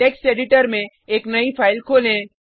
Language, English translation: Hindi, Let us open a new file in the Text Editor